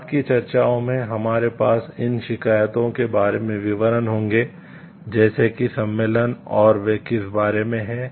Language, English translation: Hindi, In subsequent discussions, we will have details about these complain like conventions and what are these all about